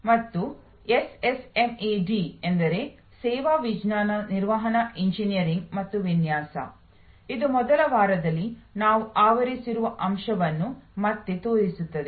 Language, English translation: Kannada, And SSMED stands for Service Science Management Engineering and Design, which again highlights the point that we had covered during the first week